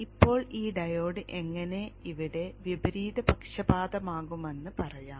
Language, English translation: Malayalam, Now let me just tell you how this diode gets reversed biased here